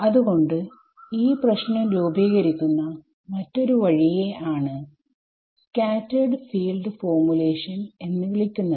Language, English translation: Malayalam, So, the other way of formulating this problem is what is called the scattered field formulation ok